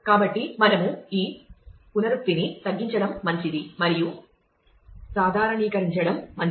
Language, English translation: Telugu, So, we would do well to reduce this redundancy and it would be good to normalize